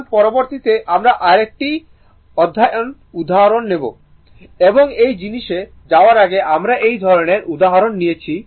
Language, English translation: Bengali, Now, next we will take another interesting example and before going to this thing, we have taken this kind of example